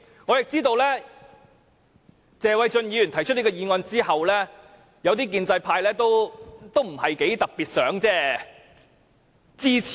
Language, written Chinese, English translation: Cantonese, 我知道在謝議員提出議案後，部分建制派議員也不是特別想支持。, I know that after Mr Paul TSE had proposed his motion some of the Members from the pro - establishment camp were not eager to show their support